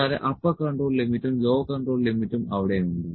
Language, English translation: Malayalam, Upper control limit and lower control limit is there